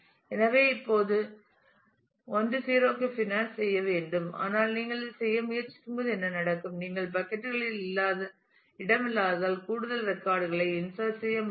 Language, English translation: Tamil, So, that has to go on this and finances on 1 0 now, but what happens is when you try to do this; you could not have inserted more records because you have run out of space in the buckets